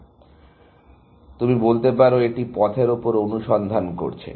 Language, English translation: Bengali, So, you can say this is searching over paths